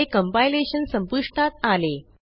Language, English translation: Marathi, And the compilation is terminated